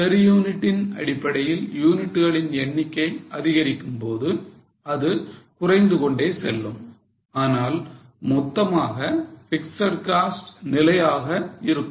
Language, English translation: Tamil, It will keep on falling as the number of units increase on a per unit basis it will fall but as a total fixed cost it remains constant